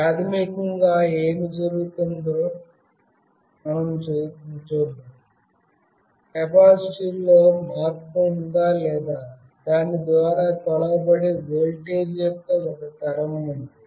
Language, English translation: Telugu, What happens basically is there is a change in capacitance or there is a generation of voltage through which it is measured